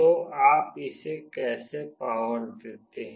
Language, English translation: Hindi, So, how do you power it